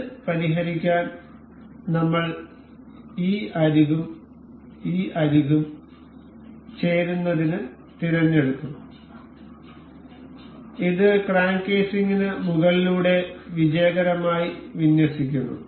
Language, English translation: Malayalam, To fix this I will select this edge and this edge to coincide, and it successfully aligns over the crank casing